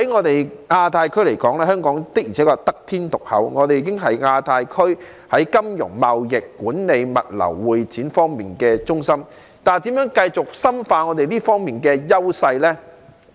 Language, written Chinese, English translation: Cantonese, 在亞太區來說，香港的確是得天獨厚，我們已是亞太區在金融、貿易、管理、物流、會展方面的中心，但我們應如何繼續深化這方面的優勢呢？, Hong Kong is blessed to have become the financial trade management logistics and convention and exhibition centres of the Asia - Pacific region but how should we build on our strengths in these areas?